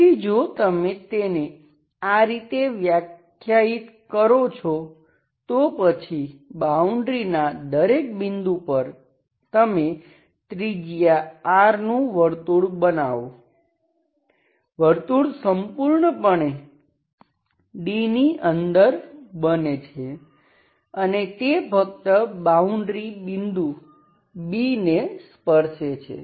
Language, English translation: Gujarati, So let us work like that, so for every point of the boundary, you make a circle, just inside the circle and with the radius R but it is entirely inside D, okay